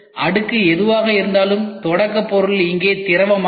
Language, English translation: Tamil, The layer whatever is getting the getting made the starting material is here liquid